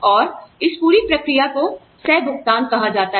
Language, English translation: Hindi, And, this whole process is called copayment